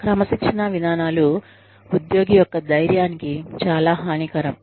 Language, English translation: Telugu, Disciplining procedures, can be very detrimental to an employee